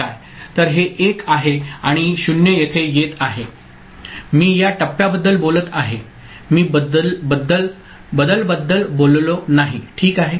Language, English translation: Marathi, So, this is 1 and this 0 is coming over here right I am talking about this stage, I have not talked about you know, changes ok